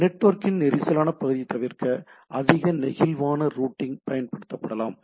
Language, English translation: Tamil, More flexible, routing can be used to avoid congested part of the network, right